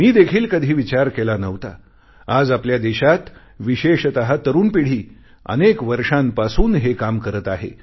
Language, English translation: Marathi, I had never even imagined that in our country especially the young generation has been doing this kind of work from a long time